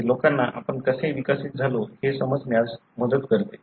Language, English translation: Marathi, That helps people to understand how we evolved